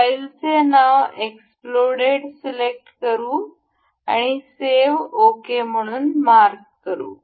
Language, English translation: Marathi, We will select explode as file name and we will mark it save ok